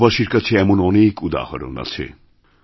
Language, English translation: Bengali, There are many such examples before us